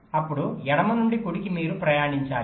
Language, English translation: Telugu, first them from left to right you have to traverse